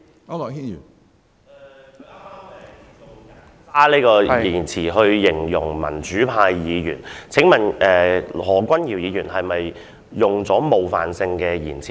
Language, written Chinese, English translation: Cantonese, 主席，他剛才以"人渣"一詞形容民主派議員，請問何君堯議員是否用了冒犯性的言詞？, Chairman he has just used the word scum to describe Members of the democratic camp . May I ask if Dr Junius HO has used an offensive word?